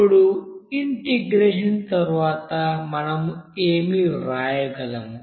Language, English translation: Telugu, Now after integration, what we can write